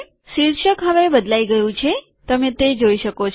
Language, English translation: Gujarati, You can see that the title has now changed